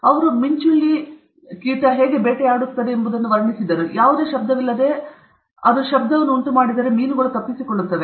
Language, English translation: Kannada, They figured out how the kingfisher catches it’s prey okay, and then, without any noise, if it makes a noise, the fish will escape